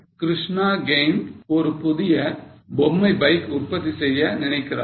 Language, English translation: Tamil, So, Krishna game wants to produce a new toy bike